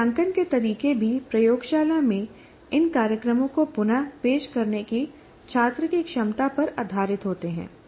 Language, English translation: Hindi, And the assessment methods are also based on students' ability to reproduce these programs in the lab